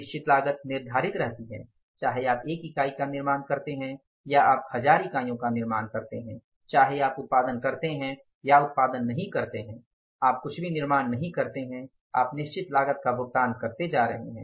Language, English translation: Hindi, Whether you manufacture one unit, you manufacture 1,000 units, you don't go for the production, you go for the production, you don't manufacture anything, you are going to pay the fixed cost